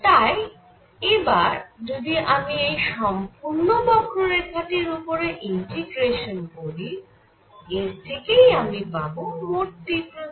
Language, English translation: Bengali, So, if I integrate over this entire curve it gives me the total intensity